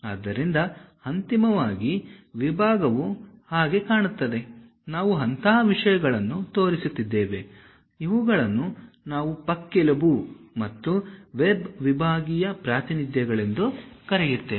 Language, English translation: Kannada, So, finally, the section looks like that; if we are showing such kind of things, we call rib and web sectional representations